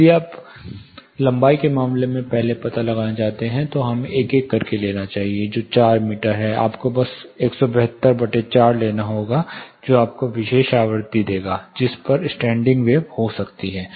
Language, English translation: Hindi, Let us take 1 by 1 if you want to find out first in terms of the length, which is 4 meters, you will just have to say 172 by 4, which will give you the particular frequency at which standing wave might occur